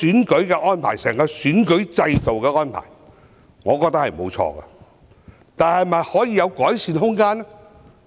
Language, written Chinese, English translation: Cantonese, 我覺得整個選舉制度的安排沒有錯，但有否改善的空間？, I think there is nothing wrong with the entire electoral system but is there room for improvement?